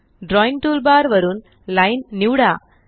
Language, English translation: Marathi, From the Drawing tool bar, select Line